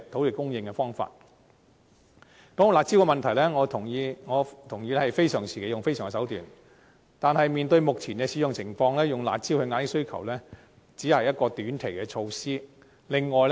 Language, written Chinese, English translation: Cantonese, 說到"辣招"的問題，我同意非常時期採用非常手段，但從目前的使用情況可見，以"辣招"遏抑需求只是一項短期措施。, Speaking of curb measures I agree that unusual moves should be taken at unusual times . However as manifested in their current implementation curb measures can only be regarded as a short - term initiative to suppress demand